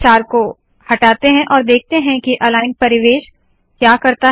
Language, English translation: Hindi, Let us remove the star and see what the aligned environment does